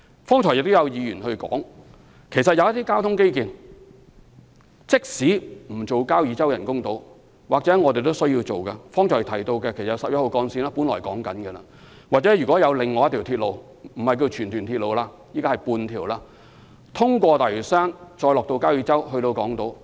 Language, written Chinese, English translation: Cantonese, 剛才亦有議員指出，即使不興建交椅洲人工島，我們也需要考慮興建一些交通基建，即剛才提到的十一號幹線或另一條鐵路——有說法是半條荃屯鐵路——途經大嶼山，再到交椅洲和港島。, Just now some Members have pointed out that even if we do not construct an artificial island at Kau Yi Chau we still have to consider building some transport infrastructure ie . Route 11 mentioned earlier or another rail link―some people call it a semi - Tuen Mun - Tsuen Wan Line―to connect the New Territories with Hong Kong Island via Lantau Island and Kau Yi Chau